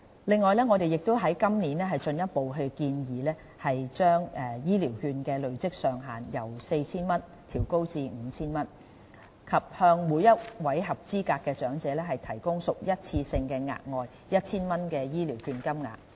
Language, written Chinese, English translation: Cantonese, 另外，我們今年進一步建議把醫療券的累積上限由 4,000 元調高至 5,000 元，以及向每位合資格長者提供屬一次性質的額外 1,000 元醫療券金額。, In addition we further propose to raise the accumulation limit of Elderly Health Care Vouchers EHCV from 4,000 to 5,000 this year and provide on a one - off basis an additional 1,000 worth of vouchers to eligible elderly persons